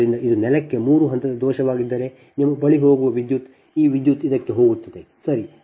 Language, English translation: Kannada, so if it is a three phase fault to the ground, the current that is, it is going to your